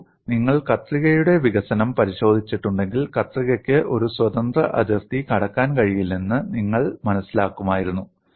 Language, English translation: Malayalam, See, if you have looked at the development of shear, you would have learnt shear cannot cross a free body